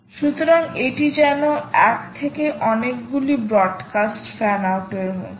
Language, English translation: Bengali, so its like a one to many broad cast fan out